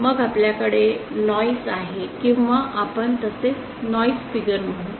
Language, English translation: Marathi, Then we have noise or as we call Noise figure